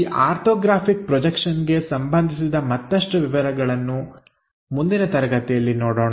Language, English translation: Kannada, Many more details about this orthographic projections we will see it in the next class